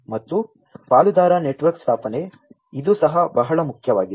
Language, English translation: Kannada, And the establishment of the partner network, this is also very important